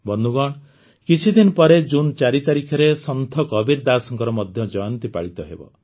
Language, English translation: Odia, Friends, a few days later, on the 4th of June, is also the birth anniversary of Sant Kabirdas ji